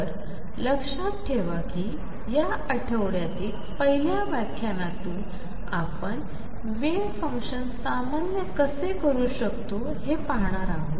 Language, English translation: Marathi, So, remember from the first lecture this week there are saying that we are going to demand that the wave function being normalize